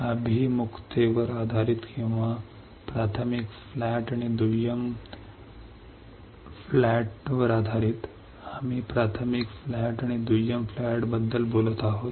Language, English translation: Marathi, Based on the orientation or based on the primary flat and secondary flat, we are talking about primary flat and secondary flat